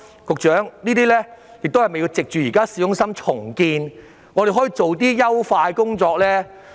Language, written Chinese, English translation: Cantonese, 局長，政府是否應藉現時市中心重建，進行一些優化的工作？, Secretary should the Government not take advantage of the current urban renewal to undertake some improvement work?